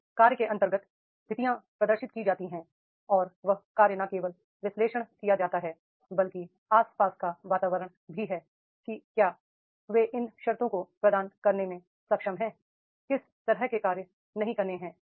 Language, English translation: Hindi, Conditions under which tasks are performed and that is the not only the task perform analysis but also the surrounding environment whether they are able to provide these conditions under which tasks are to be performed or not